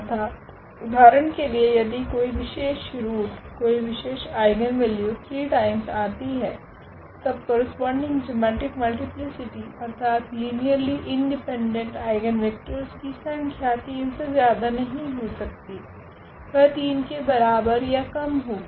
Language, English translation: Hindi, Meaning that for example, one a particular root; one particular eigenvalue is repeated 3 times than the corresponding geometric multiplicity meaning they are number of linearly independent eigenvectors cannot be more than 3, they have to be less than or equal to 3